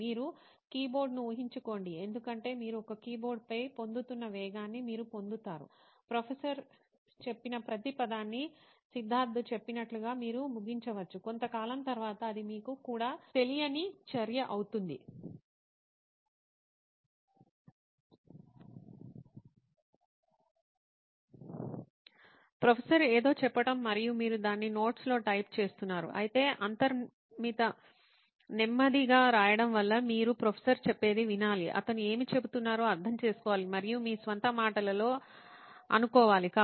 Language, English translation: Telugu, Imagine because you are getting the kind of speed that you are getting on a keyboard you would probably end up like Siddharth mentioned taking in every word that the professor says, after a while it becomes an activity that you are not even aware of, the professor saying something and you are just typing his notes off, whereas because of the inbuilt slow pace of writing you have to listen to what the professor says, understand what he is saying and try and capture it in your own words